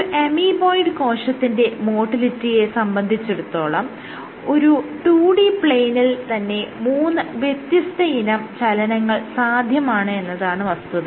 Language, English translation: Malayalam, There are in case of amoeboid cell motility there are even on a 2D plane you can have 3 different types of motility